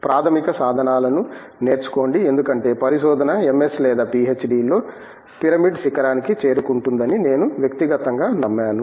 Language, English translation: Telugu, Learn the basic tools because I personally believed that the research, whether it is a MS or PhD level is reaching the peak of the pyramid